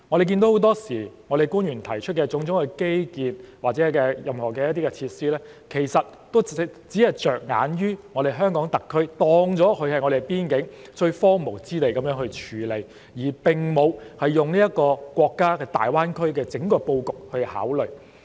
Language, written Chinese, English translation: Cantonese, 很多時候，我們看到官員提出的種種基建或設施建議，其實只着眼於香港特區，把邊境視作最荒蕪的地方來處理，並沒有從國家大灣區的整個布局來考慮。, The infrastructural or facility projects proposed by the officials often only focus on the Hong Kong SAR . They regard the frontier areas as a piece of deserted land and do not consider it in the context of the setting of the entire Greater Bay Area of the country . Or let us talk about our education policy